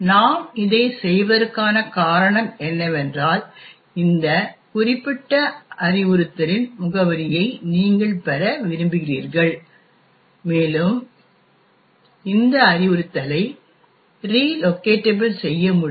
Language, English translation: Tamil, The reason why we do this is that you want to get the address of this particular instruction and this instruction can be relocatable